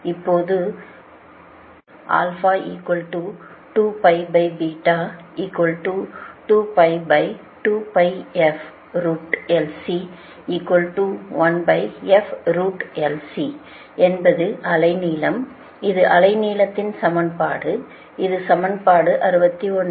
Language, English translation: Tamil, this is the equation of the wave length and this is equation sixty